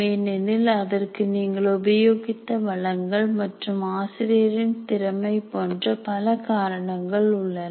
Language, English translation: Tamil, And it can be very effective because of the resources that you have used and the competence of the teacher and so on